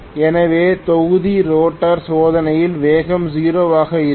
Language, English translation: Tamil, So in block rotor test the speed will be 0